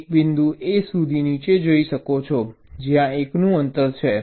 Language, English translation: Gujarati, a you can move down up to a point where there is a gap of one